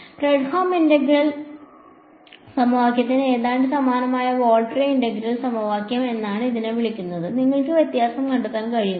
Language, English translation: Malayalam, It is called a Volterra integral equation which is almost identical to a Fredholm integral equation, can you spot the difference